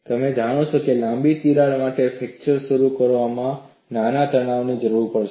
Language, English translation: Gujarati, You know, a longer crack would require a smaller stress for fracture to get initiated